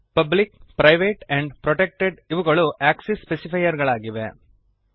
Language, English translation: Kannada, Public, private and protected are the access specifier